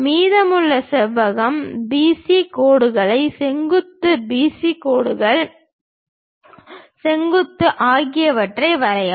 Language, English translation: Tamil, Construct the remaining rectangle BC lines vertical, AD lines also vertical, draw them